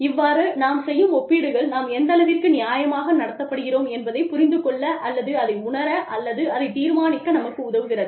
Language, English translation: Tamil, And, these comparisons, help us decide, or feel, or understand, how fairly, we are being treated